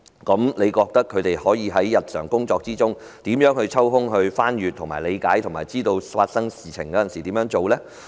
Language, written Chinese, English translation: Cantonese, 試問他們在日常工作中，可如何抽空翻閱及理解有關指引，並在有事發生時，懂得如何處理呢？, How can they spare some time in their daily work to read through and understand the contents of the guidelines and get to know how they should handle the situation when something does happen?